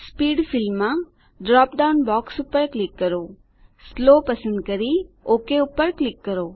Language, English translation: Gujarati, In the Speed field, click on the drop down box, select Slow and click OK